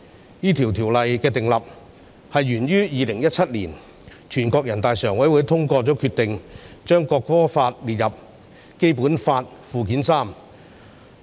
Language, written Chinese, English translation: Cantonese, 訂立這項條例，是源於2017年，人大常委會通過決定，將《國歌法》列入《基本法》附件三。, The formulation of this Bill originates from 2017 when NPCSC adopted the decision to add the National Anthem Law to Annex III to the Basic Law